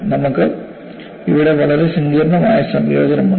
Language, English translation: Malayalam, We have a very complicated combination here